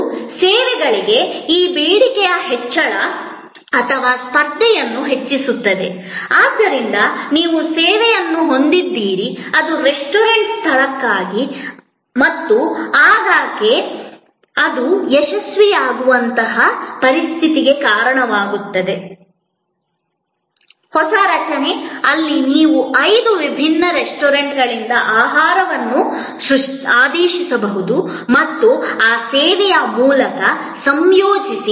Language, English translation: Kannada, And this increase in demand for services or also increasing the competition, so you have a service, which is for restaurant location and often that leads to a situation where it that services successful, a new structure, where you can order food from five different restaurant and combine through that service